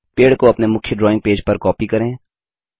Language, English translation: Hindi, Lets copy the tree to page one which is our main drawing page